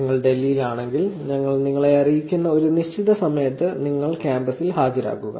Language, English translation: Malayalam, If you are in Delhi, you could actually show up on campus sometime at decided time that we will let you know